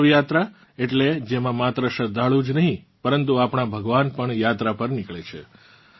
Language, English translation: Gujarati, Dev Yatras… that is, in which not only the devotees but also our Gods go on a journey